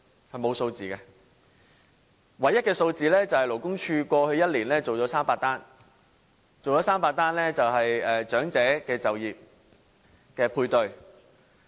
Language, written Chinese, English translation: Cantonese, 是沒有數字的，唯一的數字是勞工處過去1年做了300宗長者就業配對。, The only figure available shows that the Labour Department conducted 300 job matching for elderly people in the past year